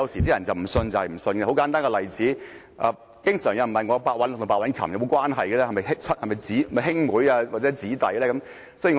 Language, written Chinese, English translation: Cantonese, 舉一個很簡單的例子，經常有人問我白韞六和白韻琴有沒有關係，是否兄妹或姊弟呢？, I now quote a very simple example . People always ask me whether Simon PEH and Pamela PECK are related or whether they are brother and sister